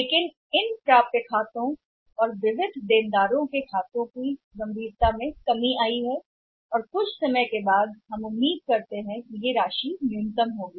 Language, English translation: Hindi, But the magnitude of these accounts receivables and sundry debtors has seriously come down and we are expecting that over a period of time it will be the minimum amount